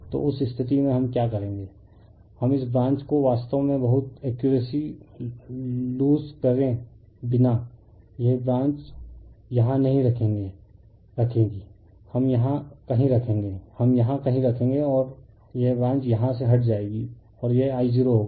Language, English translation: Hindi, So, in that case what we will do what we will do this branch actually without yourloosing much accuracy this branch will put somewhere here we will put somewhere here, right we will put somewhere here and this branch will remove from here and this will be my I 0